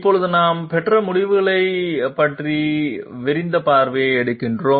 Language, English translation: Tamil, Now we take a global look at the results that we have obtained